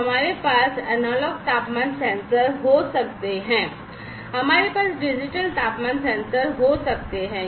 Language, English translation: Hindi, So, we can have analog temperature sensors, we can have digital temperature sensors